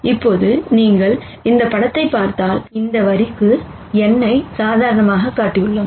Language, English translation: Tamil, Now if you look at this picture here, we have shown n as a normal to this line